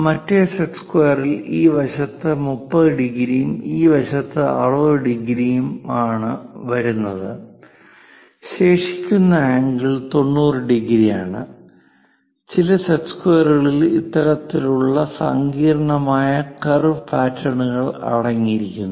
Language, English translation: Malayalam, The other set square comes with 30 degrees on this side and 60 degrees on this side; the remaining angle is 90 degrees; some of the set squares consists of this kind of complicated curve patterns also